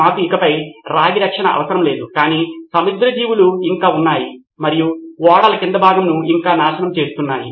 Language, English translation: Telugu, We did not need copper protection any more but marine life was still there and there were still ruining the ships hull